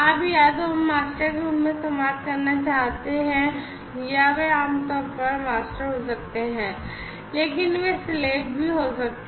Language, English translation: Hindi, You know communicating as either masters or they can be slave typically masters, but they could be slave as well